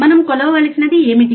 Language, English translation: Telugu, What we have to measure